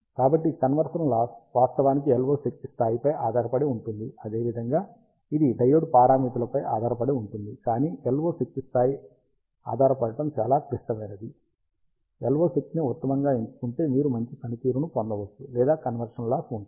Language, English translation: Telugu, So, the conversion loss actually depends on the LO power level, as well as it depends on the diode parameters, but the LO power level dependency is very critical, you can have a good or a bad conversion loss or gain performance, if you choose the LO power optimally